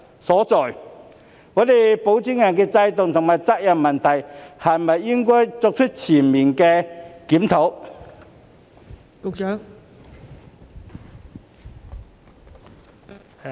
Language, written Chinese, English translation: Cantonese, 是否應對現行保薦人制度和責任問題作出全面檢討？, Should the existing sponsor regime and the accountability issue be reviewed comprehensively?